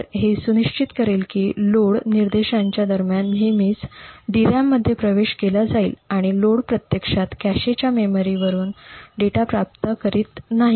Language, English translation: Marathi, So this would ensure that the DRAMs are always accessed during these load instructions and the load does not actually obtain the data from the cache memories